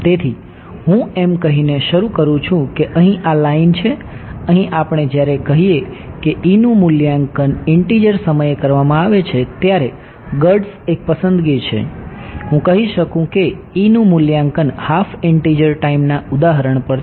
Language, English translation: Gujarati, So, let me start by saying that here this line over here we when we say that say that E is evaluated at integer time girds is a choice, I could have said E is evaluated at half integer time instance ok